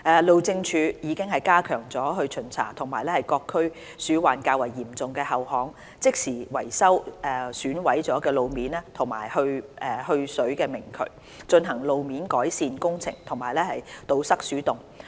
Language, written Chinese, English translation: Cantonese, 路政署已加強巡查各區鼠患較為嚴重的後巷，即時維修損毀的路面及去水明渠，進行路面改善工程和堵塞鼠洞。, For instance the Highways Department has stepped up its inspection work at rear lanes with serious rodent problems in all districts carried out instant repairs to damaged road surface or nullahs improved road conditions and filled rat holes